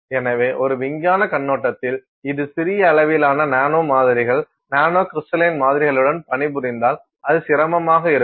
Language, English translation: Tamil, So, from a scientific perspective, this is an issue that if you work with small amounts of nano samples, nanocrystalline samples it is inconvenient to you